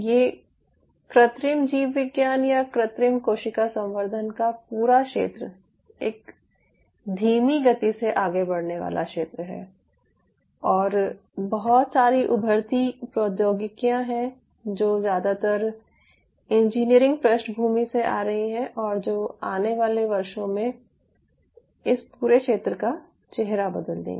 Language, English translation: Hindi, but the whole field of in vitro biology or in vitro cell culture is a slow moving field and there are a lot of emerging technologies which are coming up, mostly from the engineering background, which will change the face of this whole area in years to come